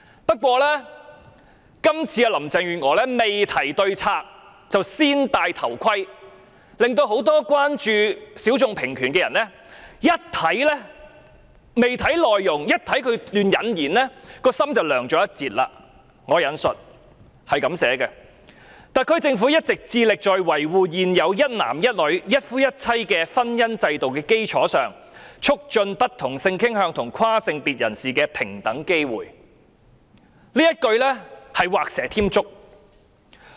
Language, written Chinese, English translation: Cantonese, 不過，林鄭月娥未提對策，"先戴頭盔"，令很多關注性小眾平權的人看到段落開頭，心已涼了一截，："特區政府一直致力在維護現有一男一女、一夫一妻的婚姻制度的基礎上，促進不同性傾向和跨性別人士的平等機會"，這一句是畫蛇添足。, However before suggesting any solution Carrie LAM was trying to play safe; hence when people who are concerned about equal rights for sexual minorities start reading the paragraph their passion is dampened . I quote The HKSAR Government has been committed to promoting equal opportunities for people of different sexual orientations and transgenders on the basis of upholding the existing institution of monogamy and heterosexual marriage . This sentence is superfluous